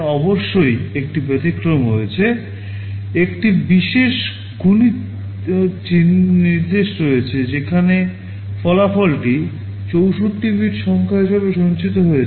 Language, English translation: Bengali, There is of course one exception; there is a special multiply instruction where the result is stored as a 64 bit number